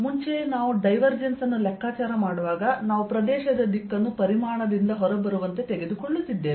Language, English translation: Kannada, so, ah, earlier also, when we were calculating divergence, we were taking area direction to be coming out of the volume